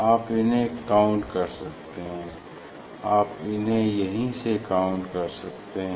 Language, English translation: Hindi, you can count them; you can count them from here itself